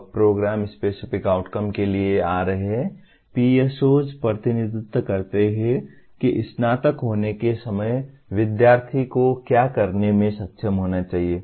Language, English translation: Hindi, Now coming to Program Specific Outcomes, PSOs represent what the student should be able to do at the time of graduation